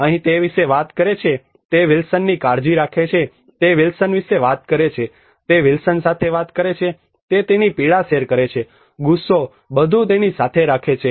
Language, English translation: Gujarati, Here he talks about, he cares about Wilson, he talks about Wilson, he talks with Wilson, he shares his pain, anger everything with him